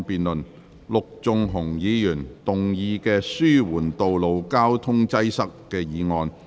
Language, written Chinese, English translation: Cantonese, 陸頌雄議員動議的"紓緩道路交通擠塞"議案。, Mr LUK Chung - hung will move a motion on Alleviating road traffic congestion